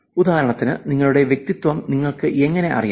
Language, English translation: Malayalam, For example, how do you know your personality